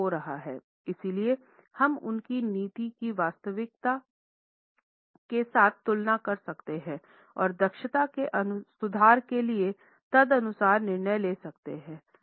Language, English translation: Hindi, So we can compare their policy with the actual and accordingly take the decisions for improving the efficiency